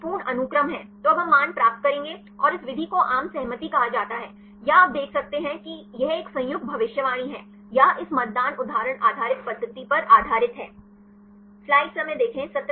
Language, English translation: Hindi, So, this is a complete sequence; so now we will get the values and this method is called the consensus or you can see this is a joint prediction or the based on this voting example based method